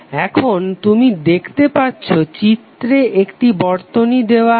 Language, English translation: Bengali, Now you see there is a circuit given in this figure